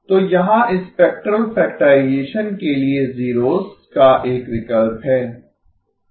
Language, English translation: Hindi, So here is a choice of zeros for spectral factorization